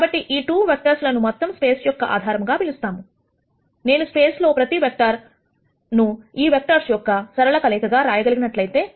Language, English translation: Telugu, Now, these 2 vectors are called the basis for the whole space, if I can write every vector in the space as a linear combination of these vectors and these vectors are independent of each of them